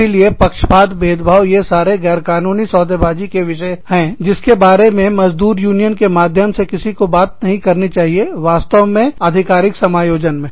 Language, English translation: Hindi, So, biases, discrimination, all of these are, illegal bargaining topics, that one should not talk about, through labor union at all, actually, in an official setting